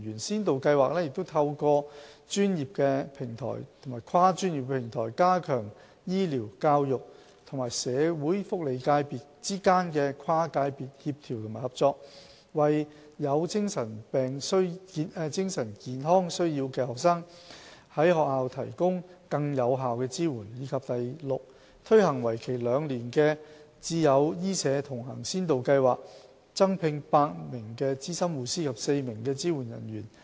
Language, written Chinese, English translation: Cantonese, 先導計劃透過專業平台及跨專業平台，加強醫療、教育與社會福利界別之間的跨界別協調及合作，為有精神健康需要的學生於學校提供更有效的支援；以及 f 推行為期2年的"智友醫社同行先導計劃"，增聘8名資深護師及4名支援人員。, Under the pilot scheme professional and multi - disciplinary platforms are established to enhance cross - sectoral coordination and collaboration among the medical education and social sectors in order to provide more effective support for students with mental health needs at schools; and f Eight APNs and four supporting staff have been recruited to support the implementation of a two - year pilot scheme named Dementia Community Support Scheme